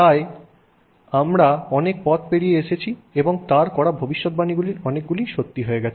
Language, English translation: Bengali, So, we have come a long way and many of the predictions he has made in those areas have come to